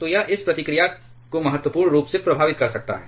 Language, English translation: Hindi, So, that can significantly affect this reactivity